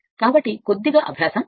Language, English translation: Telugu, So, little bit practice is necessary